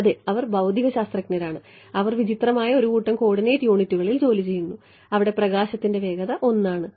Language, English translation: Malayalam, Yeah so, they work these are physicist they work in a strange set of coordinate units where speed of light is 1 ok